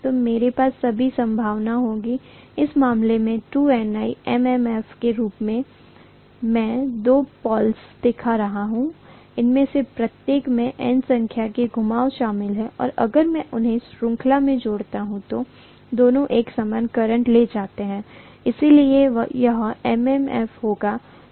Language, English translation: Hindi, So I will have in all probability, 2 Ni as the MMF in this case, I am showing two poles, each of them consisting of N number of turns and both of them carrying a common current I if I connect them in series, so this is going to be the MMF